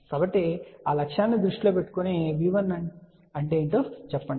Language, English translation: Telugu, So, with that objective in mind let us say what is V 1